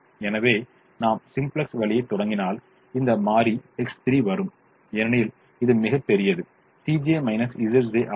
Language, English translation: Tamil, so if we started the simplex way, then this variable x three will come in because this has the largest c j minus z j